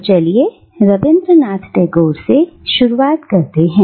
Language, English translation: Hindi, So let's start with Rabindranath Tagore